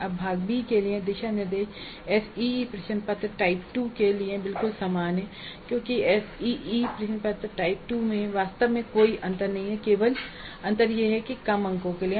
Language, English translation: Hindi, Now guidelines for Part B are absolutely same as for the ACE question paper type 2 because it is really no different from ACE question paper type 2